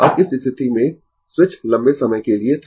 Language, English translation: Hindi, Now at switch in this position was for long time right